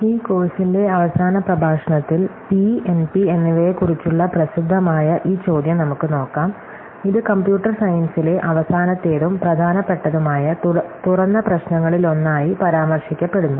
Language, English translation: Malayalam, So in the last lecture of this course, we will look at this celebrated question about P and NP, which is often mentioned as one of the last and most important open problems in Computer Science